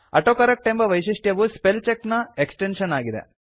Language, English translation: Kannada, The AutoCorrect feature is an extension of Spellcheck